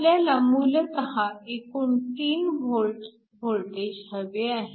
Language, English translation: Marathi, We basically want a total voltage of 3 volts